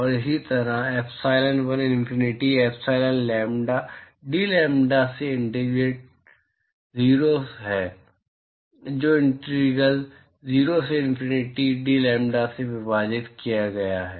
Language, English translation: Hindi, And similarly, epsilon1 is integral 0 to infinity epsilon lambda dlambda divided by integral 0 to infinity dlambda